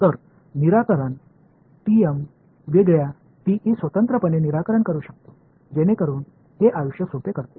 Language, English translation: Marathi, So, may as well break solve TM separately solve TE separately right it just makes a life simpler